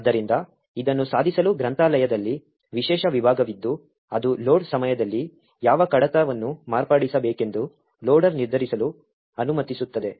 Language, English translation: Kannada, So, in order to achieve this there is special section in the library which will permit the loader to determine which locations the object file need to be modified at the load time